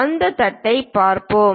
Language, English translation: Tamil, Let us look at that plate